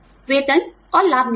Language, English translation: Hindi, Pay and, benefits policies